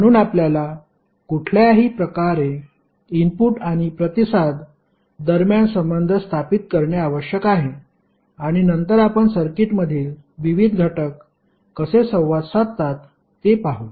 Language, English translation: Marathi, So, we have to somehow to establish the relationship between input and response and then we will see how the various elements in the circuit will interact